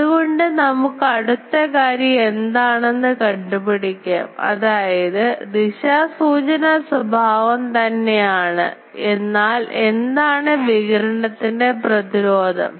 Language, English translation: Malayalam, So, now let us calculate what is the other thing; that means, directional characteristic is same but what is the radiation resistance